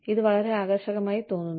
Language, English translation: Malayalam, It seems very appealing